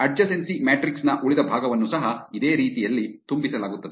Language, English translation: Kannada, The rest of the adjacency matrix is also filled in similar manner